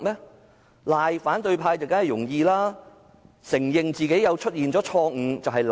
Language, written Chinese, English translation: Cantonese, 指責反對派當然容易，承認自己有錯誤卻難。, It is certainly easy to condemn the opposition Members but admitting ones fault is difficult